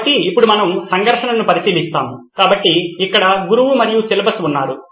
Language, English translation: Telugu, So now we will look at the conflict itself so here’s the teacher and the syllabus